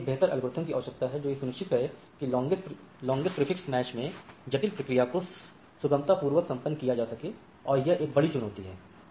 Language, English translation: Hindi, So, we need to have a better algorithm to find out this how this longest prefix match can be done so that is a major challenge